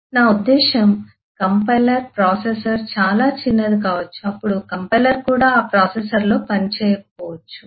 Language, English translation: Telugu, processor is so small then the compiler itself may not run in that processor